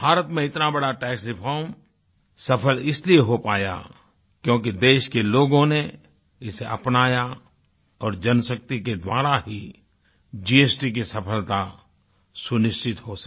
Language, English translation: Hindi, The successful implementation of such a huge tax reform in India was successful only because the people of the country adopted it and through the power of the masses, fuelled the success of the GST scheme